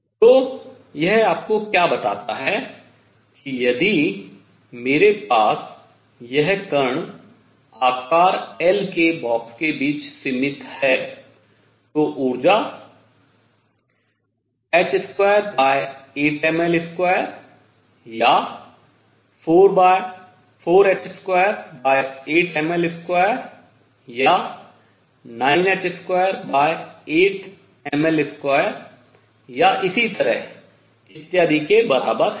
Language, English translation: Hindi, So, what this tells you is that if I have this particle in a box confined between of size L, the energy is equal to either h square over 8 m L square or 4 h square over 8 m L square or 9 h square over eight m L square and so on